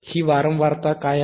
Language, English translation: Marathi, What is this frequency